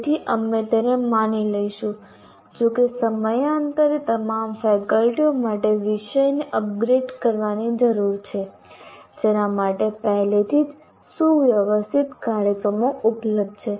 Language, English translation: Gujarati, Though from time to time, even these subject matter needs to be upgraded for all the faculty, for which already well organized programs are available